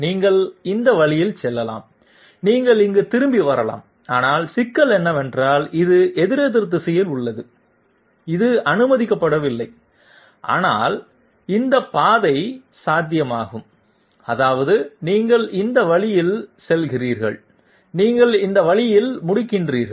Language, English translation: Tamil, You can go this way and you can welcome back here, but problem is this is counterclockwise, this is not allowed, but this path is possible that is you go this way and you end up this way